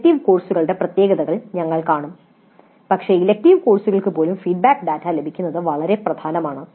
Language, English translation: Malayalam, We will see some of the peculiarities of elective courses but it is very important to get the feedback data even for elective courses